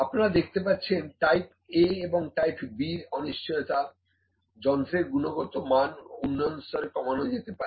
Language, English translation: Bengali, So, these are see both the type A and type B uncertainties can be reduced by having a better quality of the instrument